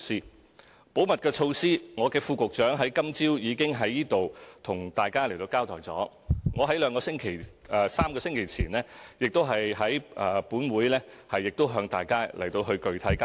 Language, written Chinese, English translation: Cantonese, 就保密的措施，我的副局長今早已經在此向大家交代，我在3個星期前亦已在本會向大家具體交代。, My Under Secretary already told Members about the confidentiality measures this morning and I also told Members about the specific details in this Council three weeks ago